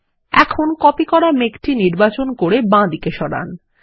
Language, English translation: Bengali, Now, select the copied cloud and move it to the left